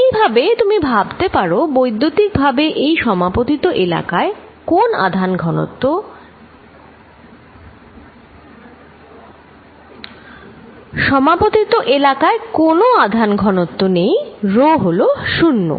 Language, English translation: Bengali, In a way you can think electrically this overlap region also to have no charge density, rho is 0